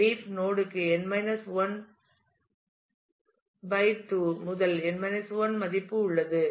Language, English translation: Tamil, Leaf node has / 2 to n 1 value